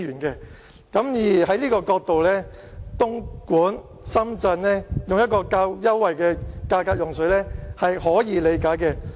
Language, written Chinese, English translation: Cantonese, 從這個角度，東莞和深圳以較優惠的價格用水是可以理解的。, From this perspective it is understandable that the water prices paid by Dongguan and Shenzhen are lower